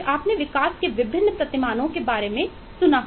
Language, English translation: Hindi, you must have heard about different paradigms of development